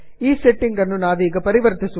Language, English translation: Kannada, We will not change the settings